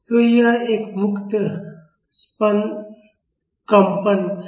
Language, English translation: Hindi, So, this is a free vibration